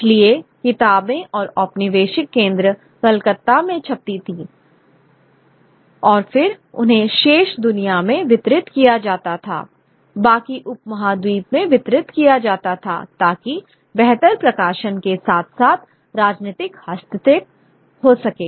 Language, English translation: Hindi, So, books would be printed in the colonial center of Calcutta and then they be distributed to the rest of the rest of the you know subcontinent in efforts to prefer administration as well as political intervention